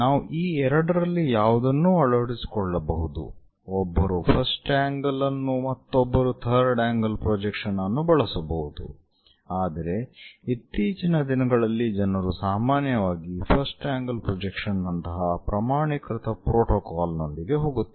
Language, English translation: Kannada, One can use first angle and also third angle projections, but these days usually people are going with a standardized protocol like first angle projection